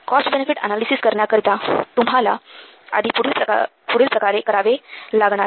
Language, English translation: Marathi, For cost benefit analysis, you need to do the following